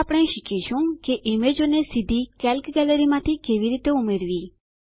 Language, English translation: Gujarati, Now we will learn how to insert images directly from the Calc Gallery